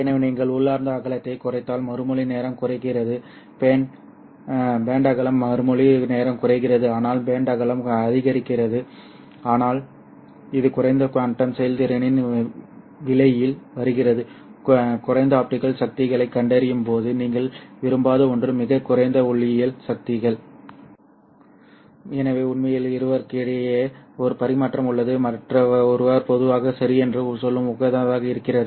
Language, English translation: Tamil, so if you reduce the intrinsic width then response time decreases bandwidth increases response time decreases but the bandwidth increases but this comes at a price of reduced quantum efficiency something that you would not want to have when you are detecting low optical powers optical light at at very low optical powers